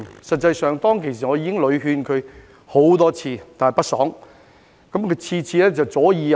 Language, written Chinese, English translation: Cantonese, 實際上，當時我已經勸他很多次，但屢勸不爽。, In fact at that time I persuaded him many times but to no avail